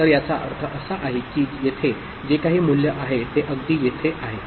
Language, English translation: Marathi, So that means, whatever is the value here it is opposite here, ok